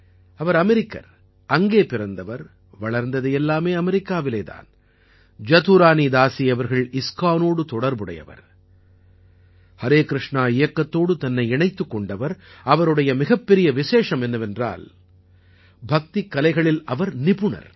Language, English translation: Tamil, She is American, was born in America, brought up in America, Jadurani Dasi ji is connected to ISKCON, connected to Harey Krishna movement and one of her major specialities is that she is skilled in Bhakti Arts